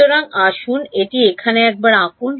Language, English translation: Bengali, So, let us draw it once over here